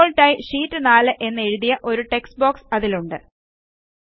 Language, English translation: Malayalam, There is a textbox with Sheet 4 written in it, by default